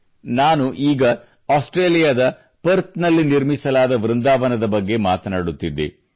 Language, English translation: Kannada, I was just referring to the subject of Vrindavan, built at Perth, Australia